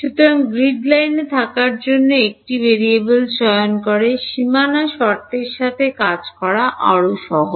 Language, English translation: Bengali, So, by choosing a variable to be at the grid line, it is easier to work with boundary conditions